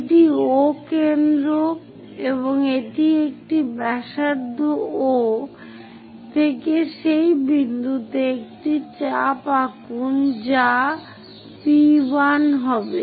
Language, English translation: Bengali, This is O center, and this is one radius draw a arc from O all the way to that name this point as P1